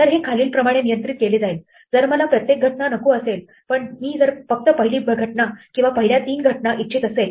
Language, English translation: Marathi, Now this can be controlled in the following ways; supposing, I do not want to each occurrence, but I only want say the first occurrence or the first three occurrences